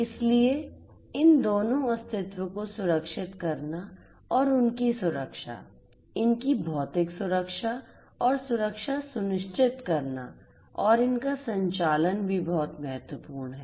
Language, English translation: Hindi, So, securing both of these entities and ensuring their safety, safety the physical safety and security of these and also their operations is what is very important